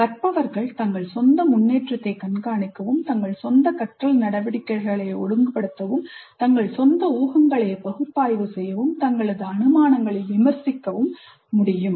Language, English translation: Tamil, Learners must be able to monitor their own progress, regulate their own learning activities and must be able to analyze, criticize their own assumptions